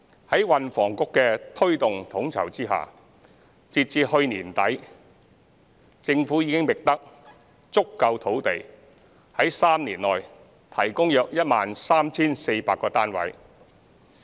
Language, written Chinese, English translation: Cantonese, 在運輸及房屋局的推動統籌下，截至去年年底，政府已覓得足夠土地在3年內提供約 13,400 個過渡性房屋單位。, With the facilitation and coordination of the Transport and Housing Bureau as at the end of last year the Government already identified adequate land for the provision of about 13 400 transitional housing units for the coming three years